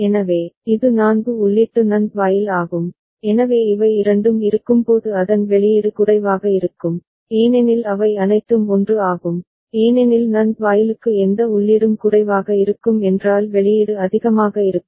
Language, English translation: Tamil, So, it is a 4 input NAND gate and so its output will be low when both of, all of them are 1 because for NAND gate any input is low means output is high